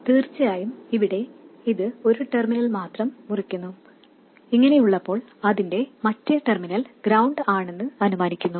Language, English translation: Malayalam, Of course, here this is cutting only one terminal, when it is like that, it is assumed that the other terminal is ground